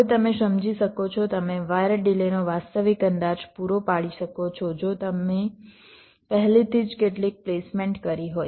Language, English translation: Gujarati, now you can understand, you can provide realistic estimate of the wire delays, provided you already had made some placement